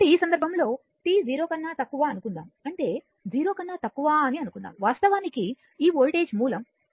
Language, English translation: Telugu, So, in this case suppose for t less than 0 suppose for t less than 0 that means, this voltage source which actually it is 0